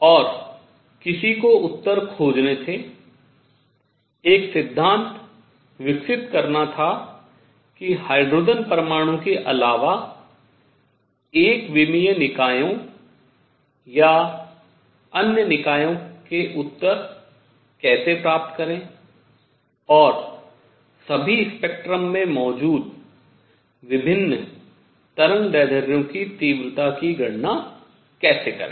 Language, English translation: Hindi, And one had to find answers one had to develop a theory as to how how to get the answers of say one dimensional systems or other system systems other than hydrogen atom, and all also how to calculate intensities of various wavelengths that exist in a spectrum